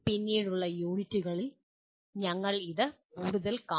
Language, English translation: Malayalam, We will be seeing more of this in later units